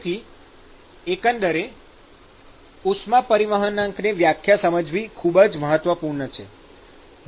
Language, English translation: Gujarati, So, it is very important to understand the definition of overall heat transport coefficient